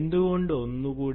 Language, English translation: Malayalam, why create many more